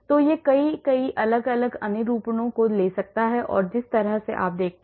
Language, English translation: Hindi, so it can take many, many different conformations the way you look at